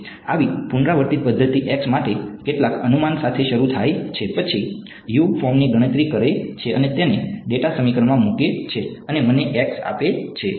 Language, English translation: Gujarati, Such an iterative method starts with some guess for x, then calculates U form that and puts that U into the data equation and gives me the x ok